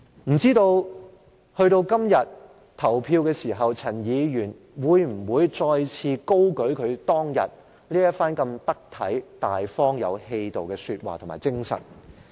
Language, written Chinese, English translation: Cantonese, 未知到了今天投票的時候，陳議員會否再次高舉他當天這番得體、大方、有氣度的說話和精神呢？, By the time of voting today I wonder if Mr CHAN will uphold this appropriate open and forbearing remark and spirit he displayed that day